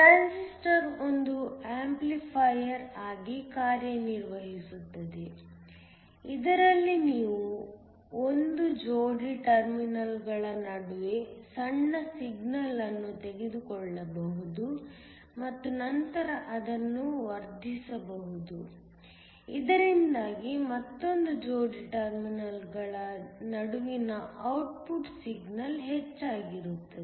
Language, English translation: Kannada, A Transistor can also act as an amplifier, in that you can take a small signal between a pair of terminals and then amplify it, so that the output signal between another pair of terminals is higher